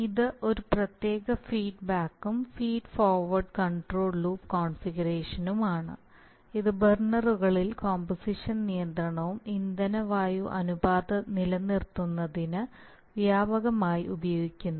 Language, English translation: Malayalam, So it is a special feedback feed forward control loop configuration which is widely used for maintaining composition control, fuel air ratios in burners